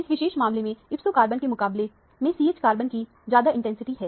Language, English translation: Hindi, The CH carbons have much higher intensity compared to the ipso carbon in this particular case